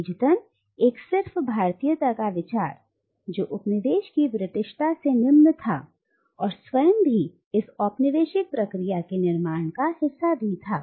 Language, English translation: Hindi, Consequently the idea of a static Indianness, which is inferior to the Britishness of the coloniser, was also a construction of this same colonial process